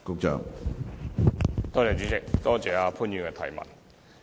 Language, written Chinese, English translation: Cantonese, 主席，多謝潘議員的提問。, President I thank Mr POON for the question